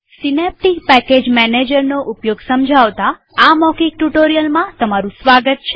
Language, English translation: Gujarati, Welcome to this spoken tutorial on how to use Synaptic package manager